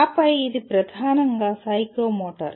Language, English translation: Telugu, And then, this is dominantly psychomotor